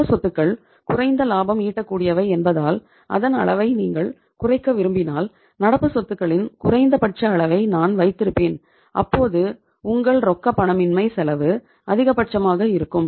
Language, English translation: Tamil, And if you want to minimize it that my level of current assets because they are least productivity I will keep the minimum level of current assets your cost of illiquidity this is the maximum